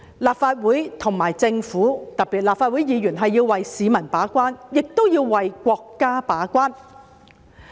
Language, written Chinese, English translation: Cantonese, 立法會和政府，特別是立法會議員，要為市民把關，亦要為國家把關。, The Legislative Council and the Government especially Legislative Council Members must play the role of the gatekeeper for the people and the country